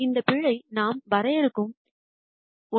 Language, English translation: Tamil, And this error is something that we defi ne